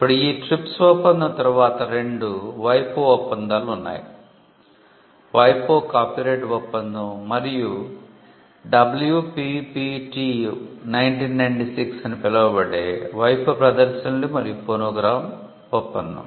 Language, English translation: Telugu, Now after this TRIPS agreement we had two WIPO treaties, the WIPO copyright treaty and the WIPO performances and phonogram treaty called the WPPT1996